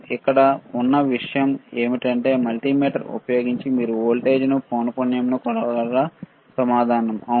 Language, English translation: Telugu, The point here is that, using the multimeter can you measure voltage can you measure frequency the answer is, yes